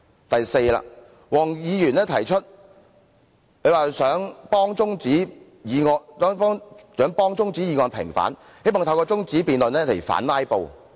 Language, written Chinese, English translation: Cantonese, 第四，黃議員想替中止待續議案平反，希望透過中止辯論反"拉布"。, Fourthly Mr WONG wants to vindicate adjournment motions and hopes to counter filibustering by having the debate adjourned